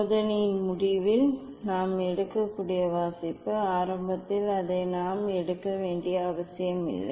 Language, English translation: Tamil, that reading we can take at the end of the experiment, it is not necessary that we have to take it at the beginning